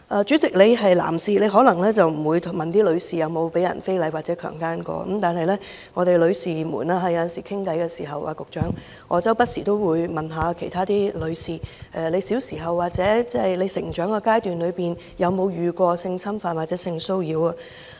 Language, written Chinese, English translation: Cantonese, 主席，你是男士，你可能不會詢問女士曾否被人非禮或強姦，但女士們有時候聊天時......局長，我不時都會詢問其他女士小時候或成長階段有否遭遇過性侵犯或性騷擾。, President as a gentleman you might possibly not ask a lady whether she has ever been indecently assaulted or raped but sometimes during a chat among ladies Secretary from time to time I ask other ladies if they have been subject to sexual abuse or sexual harassment in their childhood or growing - up years